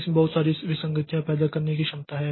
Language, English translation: Hindi, It has the potential to create a lot of inconsistencies